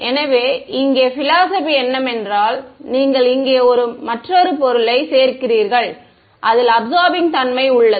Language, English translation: Tamil, So, here the philosophy is that you add another material over here, which has an absorbing property ok